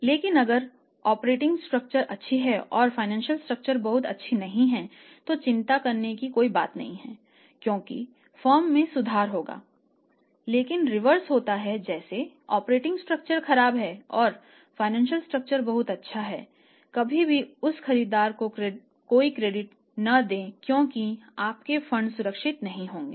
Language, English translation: Hindi, But if operating is good financial is not that very good then nothing to worry about because the firm will improve but reverse happens that operating structure is poor and financial structure is very good never give any credit to that buyer on credit because your funds will not be safe in that case right